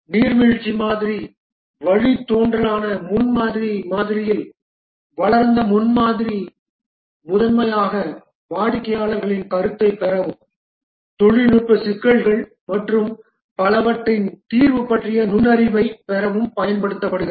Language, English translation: Tamil, In the prototyping model, which is a derivative of the waterfall model, the developed prototype is primarily used to gain customer feedback and also to get insight into the solution, that is the technical issues and so on